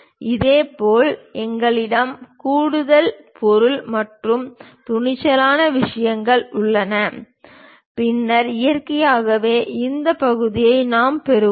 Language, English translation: Tamil, Similarly, we have an extra material and taper kind of thing then naturally we will have this portion